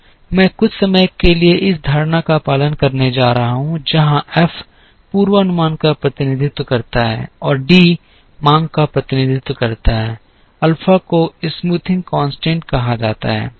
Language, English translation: Hindi, I am going to follow this notation for sometime, where F represents the forecast and D represents the demand, alpha is called as smoothing constant